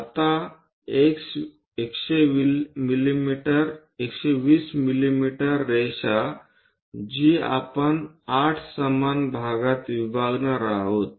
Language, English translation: Marathi, Now, line 120 mm that we are going to divide into 8 equal parts